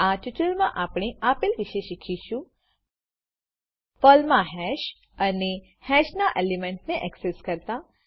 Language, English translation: Gujarati, In this tutorial, we learnt Hash in Perl and Accessing elements of a hash using sample programs